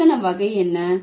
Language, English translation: Tamil, What is the grammatical category